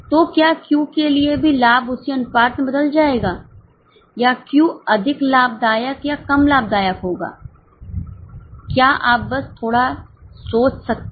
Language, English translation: Hindi, So, for Q also the profit will change in the same proportion or Q will be more profitable or less profitable